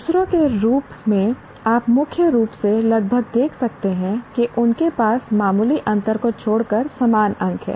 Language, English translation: Hindi, The others, as you can see, predominantly they are almost they are the same marks except for minor differences